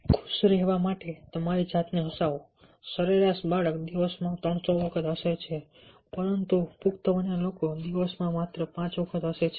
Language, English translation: Gujarati, the average child, the average child, laughs three hundred times a day, but adults laugh only five times a day